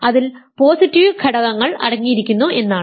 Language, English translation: Malayalam, So, it contains positive elements